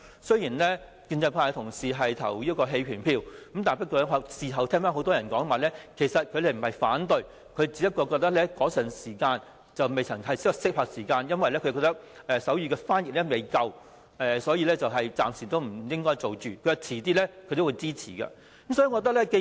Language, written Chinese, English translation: Cantonese, 雖然建制派的同事表決棄權，但事後聽到很多議員說他們不是反對，只是覺得那時候不是合適的時間，因為未有足夠的手語翻譯服務，所以暫時不應該推行，稍後是會支持的。, Even though Members from the pro - establishment camp abstained from voting then I heard many Members saying afterwards that they were not against the motion but only felt that it was not an opportune time to make sign language official as sign language interpretation services could not be sufficiently provided . They thought this plan should be shelved temporarily but would support it in due course